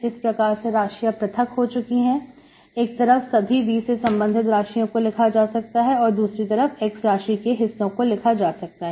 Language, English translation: Hindi, Now the variables are separated, you can write one side all the V variables, on the other side all the x variables